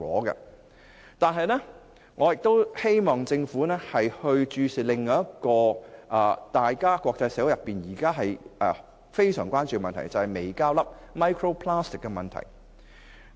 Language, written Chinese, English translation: Cantonese, 可是，我希望政府亦要注視另一個國際社會相當關注的問題，就是微膠粒。, But I wish the Government to pay attention to another topical problem in the international community that is the problem of microplastics